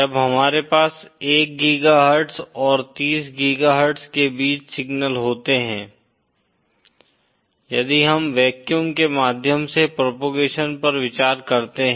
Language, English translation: Hindi, When we have signals between 1 GHz and 30 GHz, the wavelength is in centimetre if we consider propagation through vacuum